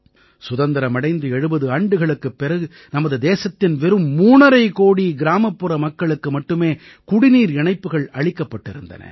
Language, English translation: Tamil, In the 7 decades after independence, only three and a half crore rural homes of our country had water connections